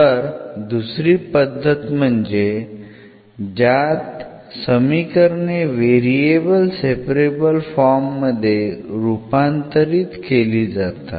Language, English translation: Marathi, The other one there are equations which can be reduced to the separable of variables